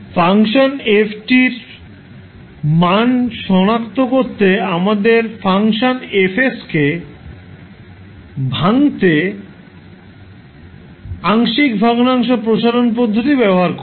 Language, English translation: Bengali, Now, to solve the, to find out the, the value of function F, we use partial fraction expansion method to break the function F s